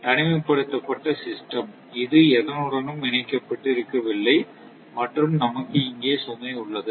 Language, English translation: Tamil, Just isolated system not interconnected with anything and you have the load